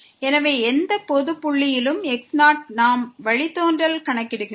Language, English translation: Tamil, So, at any general point we are computing the derivative